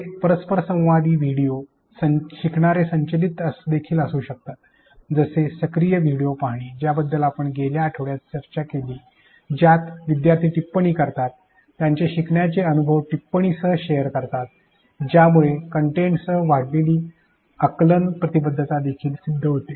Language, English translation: Marathi, These interactive videos can also be learner driven that is the active video watching which we discussed last week where learners are made to add comments, share their learning experiences with the comment; this also leads to enhanced cognitive engagement with the content